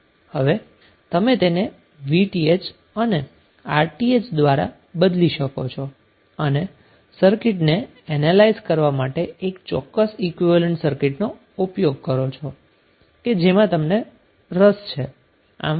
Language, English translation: Gujarati, So you will replace with the VTh and RTh and you will use that particular equivalent circuit to analyze the circuit which is of your interest